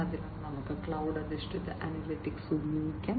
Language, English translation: Malayalam, So, we can use cloud based analytics